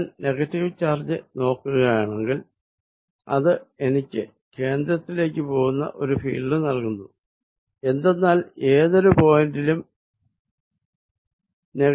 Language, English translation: Malayalam, If I look at the negative charge it gives me a field like this towards the centre, because the negative charge at any point